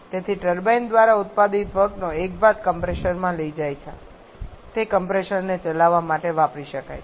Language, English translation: Gujarati, So, that the work produced by the turbine a part of that can be taken to the compressor can use to run the compressor